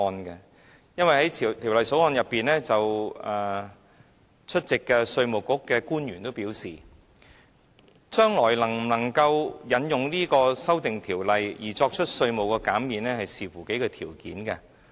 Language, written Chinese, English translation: Cantonese, 出席審議《條例草案》會議的稅務局官員均表示，將來能否引用這項法例作出稅務寬減要視乎數項條件。, According to the Inland Revenue Department IRD officials present at the scrutiny of the Bill whether this law can be invoked for tax concessions will depend on a few conditions